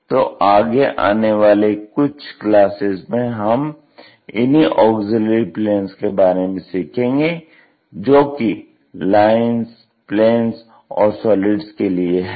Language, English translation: Hindi, So, in nextcouple of classes we will learn more about this auxiliary planes, for the lines, planes and also solids